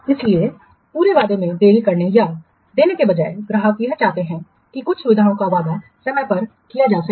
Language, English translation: Hindi, So instead of making or delivering the whole application delayed, the customer may want that the some subset of the promised features may be delivered on time